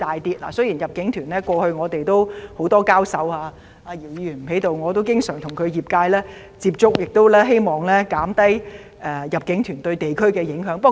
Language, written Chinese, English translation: Cantonese, 雖然過去就入境團的問題，我與姚議員多次交手——姚議員不在席——我亦經常與他代表的業界接觸，希望減低入境團對本地居民的影響。, I have dealt with Mr YIU over the issue of inbound tours for a number of times Mr YIU is not here now . And I also frequently liaise with members of his industry in a bid to reduce the impact of inbound tours on local residents